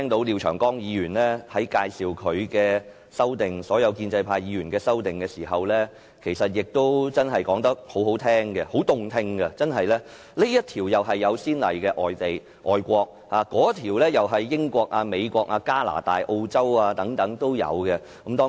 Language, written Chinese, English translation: Cantonese, 廖長江議員在介紹自己及其他建制派議員提出的修訂建議時說得很動聽，不是這項在外國有先例，便是那項在英國、美國、加拿大和澳洲等地已有相關條文。, Mr Martin LIAOs remarks on the amendments proposed by him and other pro - establishment Members are pleasant to listen to . According to him there are precedents and similar provisions in foreign countries such as the United Kingdom the United States Canada and Australia